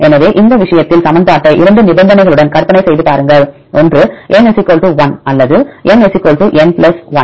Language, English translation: Tamil, So, in this case imagine the equation with two conditions, one if N = 1 or N = n + 1